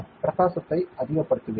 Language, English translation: Tamil, I will increase the brightness